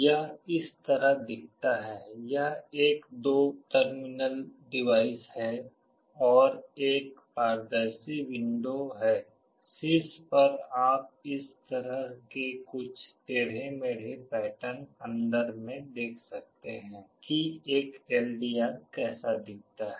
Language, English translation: Hindi, Tt looks like this, it is a two terminal device and there is a transparent window, on top you can see some this kind of zigzag pattern inside it this is how an LDR looks like